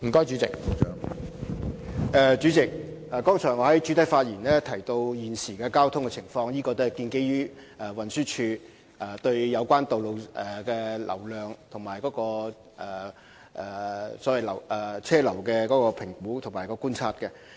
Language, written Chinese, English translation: Cantonese, 主席，我剛才在主體答覆中提及現時的交通情況，也是建基於運輸署對有關道路的流量和車流進行的評估和觀察。, President the current traffic conditions as I mentioned in the main reply just now are also based on the assessments and observations of TD in relation to the traffic flow and vehicular movement of the relevant roads